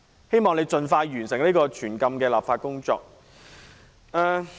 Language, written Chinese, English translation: Cantonese, 希望你盡快完成這項全禁電子煙的立法工作。, I hope that you will complete the legislative procedures to ban e - cigarettes completely as soon as possible